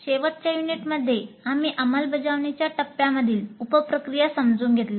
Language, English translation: Marathi, In the last unit we understood the sub processes of implement phase